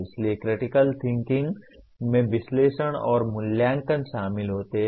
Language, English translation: Hindi, So critical thinking will involve analysis and evaluation